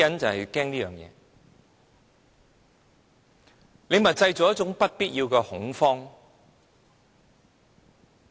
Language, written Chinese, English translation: Cantonese, 政府正在製造不必要的恐慌。, The Government is causing unnecessary panic